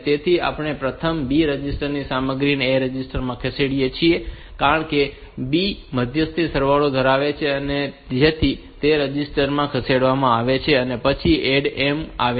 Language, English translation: Gujarati, So, we first moved this B register content to A register because B was holding the intermediary sum so that is moved into the register then add M